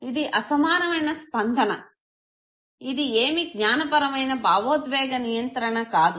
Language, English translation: Telugu, This was a disproportionate reaction; this is no cognitive emotional regulation